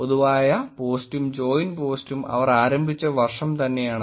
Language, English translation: Malayalam, The common post and joined is that joined is the year that they started